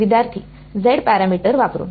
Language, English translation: Marathi, Using Z parameter